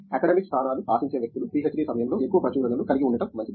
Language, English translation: Telugu, People who ask for academic position are better to have more publications during the PhD one